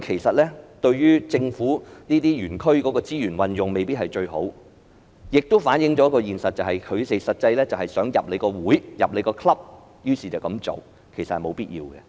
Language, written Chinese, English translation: Cantonese, 此舉對於政府這些園區的資源運用未必是最好，亦反映了一個現實，他們實際上想加入這個會，於是這樣做，但其實沒有必要。, Whilst this may not necessarily make the best use of the resources in these zones designated by the Government it also reflects the truth that these enterprises really want to join this club so they choose to do so but in fact it is unnecessary